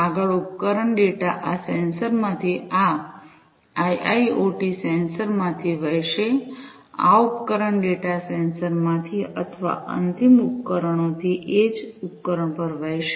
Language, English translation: Gujarati, Next, the device data will flow from these sensors these IIoT sensors, these device data are going to flow from the sensors or, the end devices to the edge device, right